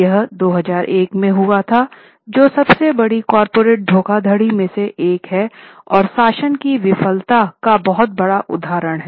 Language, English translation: Hindi, This happened in 2001, one of the biggest corporate frauds and one of the very striking case of failure of governance